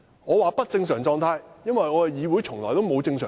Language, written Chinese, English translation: Cantonese, 我說"不正常狀態"，因為立法會從未正常過。, I used the words abnormal state because the Legislative Council has never been normal